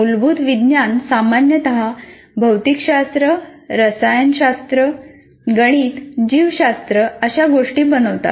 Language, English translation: Marathi, Basic sciences normally constitute physics, chemistry, mathematics, biology, such things